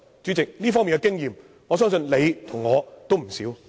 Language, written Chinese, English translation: Cantonese, 主席，這方面的經驗，相信你我都有不少。, President I think you and I do have much experience in this respect